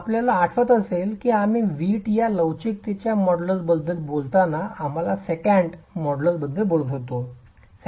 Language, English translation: Marathi, If you remember when we were talking about the modulus of the elasticity of the brick, we were talking of the second modulus